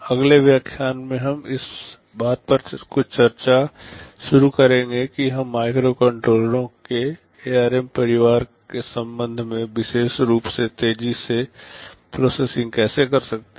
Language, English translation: Hindi, In the next lecture we shall be starting some discussion on how we can make processing faster with particular regard to the ARM family of microcontrollers